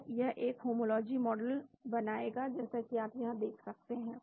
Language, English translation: Hindi, So, it will build a homology model as you can see here